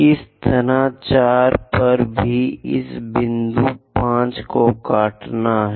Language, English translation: Hindi, 3, similarly at 4, also intersect this point